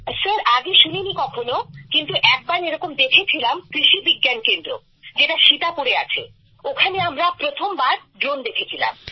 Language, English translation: Bengali, Sir, I had not heard about that… though we had seen once, at the Krishi Vigyan Kendra in Sitapur… we had seen it there… for the first time we had seen a drone there